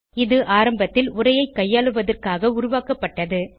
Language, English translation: Tamil, It was originally developed for text manipulation